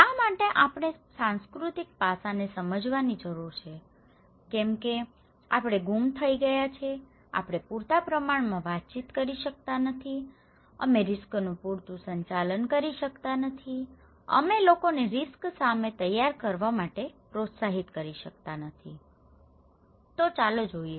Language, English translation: Gujarati, Why we need to understand the cultural aspect otherwise, we were missing, we cannot communicate enough, we cannot manage risk enough, we cannot encourage people to prepare against risk, let us look